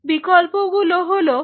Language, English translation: Bengali, So, options are this